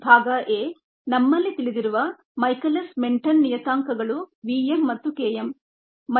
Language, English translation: Kannada, part a: michaelis menten parameters, which we know are v, m and k m n